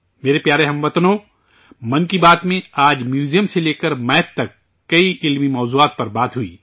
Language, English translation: Urdu, My dear countrymen, today in 'Mann Ki Baat', many informative topics from museum to maths were discussed